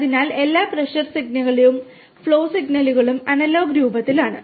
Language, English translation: Malayalam, So, all the pressure sensor pressure signals and the flow signals are in analog form